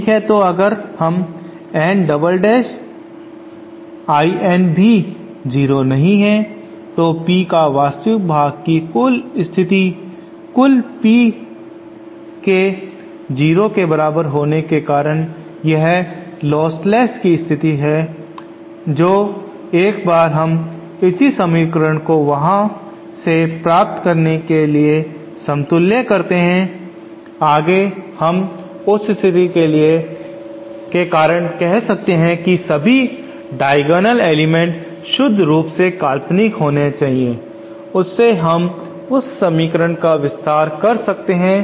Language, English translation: Hindi, Okay, so then if N double dash I N double dash is also not zero then the condition of P real part of the P total being equal to 0 that is the lostless condition equates to once we have derived this equation from there, we can further because of that condition that all diagonal elements should be purely imaginary from that we can simply extend that equation as